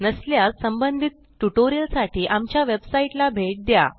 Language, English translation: Marathi, If not, for relevant tutorial please visit our website which as shown